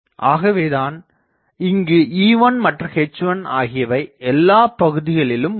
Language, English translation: Tamil, So, everywhere there will be E1 H1s